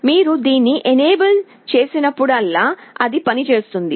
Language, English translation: Telugu, Whenever you are enabling it only then it will be working